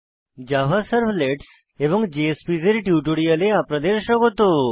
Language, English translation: Bengali, Welcome to the spoken tutorial on Java Servlets and JSPs